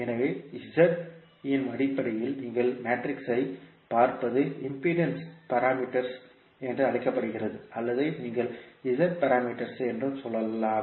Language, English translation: Tamil, So, what you see the matrix in terms of Z is called impedance parameters or you can also say the Z parameters